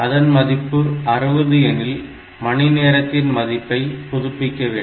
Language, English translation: Tamil, So, if it has become 60 then the hour value has to be updated otherwise this is fine